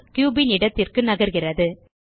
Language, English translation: Tamil, The cube is now scaled